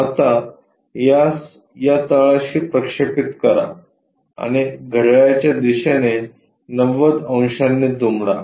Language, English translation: Marathi, Now, project this one on to this bottom side and fold this by 90 degrees clockwise